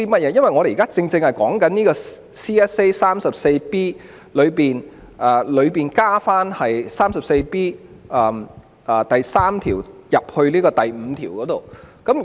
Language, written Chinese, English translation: Cantonese, 我現在說的正是有關 CSA， 即在第 34B5 條加入第 34B3 條的情況。, I am speaking on the relevant CSA which allows section 34B5 to cover the circumstance in section 34B3